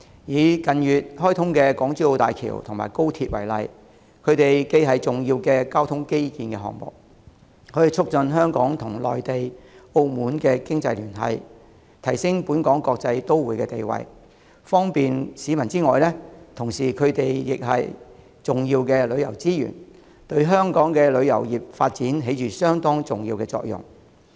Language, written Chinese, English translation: Cantonese, 以近月開通的港珠澳大橋和高鐵為例，它們既是重要的交通基建項目，可促進香港與內地和澳門的經濟聯繫，提升本港國際都會的地位和方便市民，同時亦是重要的旅遊資源，對香港的旅遊業發展起着相當重要的作用。, Take the Hong Kong - Zhuhai - Macao Bridge HZMB and the Guangzhou - Shenzhen - Hong Kong Express Rail Link XRL which were commissioned in the past months as examples . They are important transport infrastructure projects which can promote Hong Kongs economic link with the Mainland and Macao strengthen Hong Kongs position as an international metropolis and provide people with convenience . At the same time they are important tourism resources with significant effects on the development of Hong Kongs tourism industry